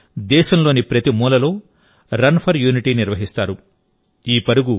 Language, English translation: Telugu, On this day, Run for Unity is organized in every corner of the country